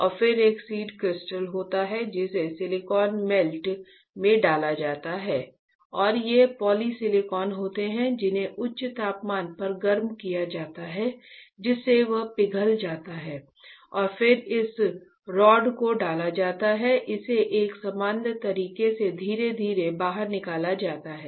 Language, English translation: Hindi, And then there is a seed crystal which is inserted into the silicon melt right and these are polysilicons which are heated at a high temperature, so that it becomes a melt and then this rod is inserted and it is pulled out slowly in a uniform fashion such that you start forming the single crystal silicon alright